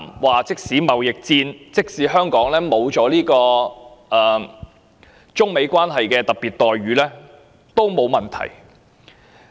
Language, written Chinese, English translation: Cantonese, 他說道，即使香港因為貿易戰而在中美關係中失去特別待遇，亦沒有問題。, According to him there will be no problem even if Hong Kong loses any special treatment in the Sino - American relationship due to the trade conflict